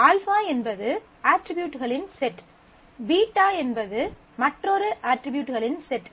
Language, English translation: Tamil, Alpha is a set of attributes; beta is another set of attributes